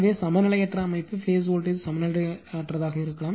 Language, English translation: Tamil, So, unbalanced system phase voltage also may be unbalanced